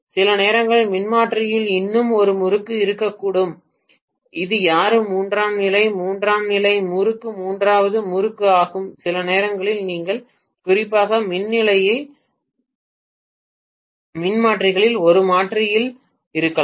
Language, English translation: Tamil, Sometimes there can be one more winding in the transformer which is no one asked tertiary, tertiary winding is the third winding sometimes you may have in a transformer in especially power station transformers